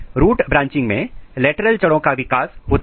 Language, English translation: Hindi, In root branching lateral roots are formed